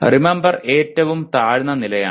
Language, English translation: Malayalam, Remember is the lowest level